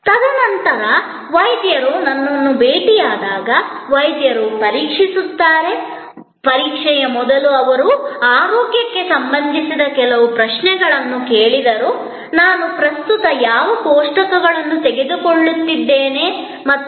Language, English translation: Kannada, And then, when the doctor met me, doctor examine, before examination he asked me certain health related questions, what medicines I am currently taking and so on